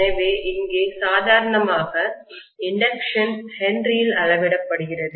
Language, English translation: Tamil, So inductance is here normally measured in Henry